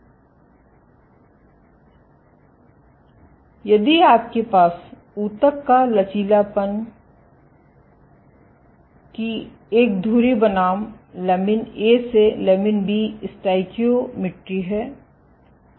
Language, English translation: Hindi, So, if you have an axis of tissue elasticity, versus lamin A to lamin B stoichiometry